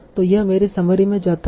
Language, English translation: Hindi, So this gets into my summary